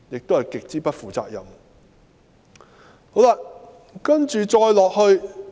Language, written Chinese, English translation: Cantonese, 這是極不負責任的做法。, This is extremely irresponsible